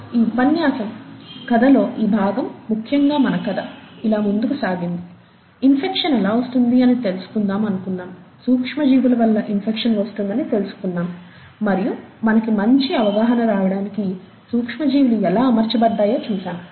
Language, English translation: Telugu, We will stop here for, for this lecture, this part of the story, essentially our story went something like this, we wanted to know, what causes infection, and we said micro organisms cause infection, and we saw how micro organisms are organized for better understanding